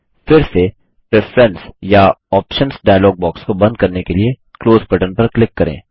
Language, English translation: Hindi, Again click on the Close button to close the Preferences or Options dialog box